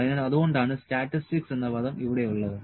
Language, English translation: Malayalam, So, this is that is why statistics term is here